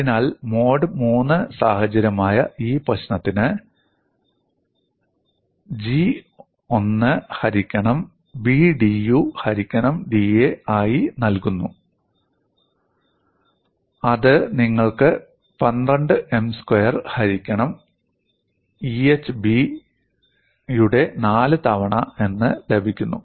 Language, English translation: Malayalam, So, for this problem which is a mode 3 situation, the value of G is given as 1 by B dU by da; that gives you 12 M square divided by EhB power 4